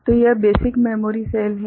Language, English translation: Hindi, So, this is the basic memory cell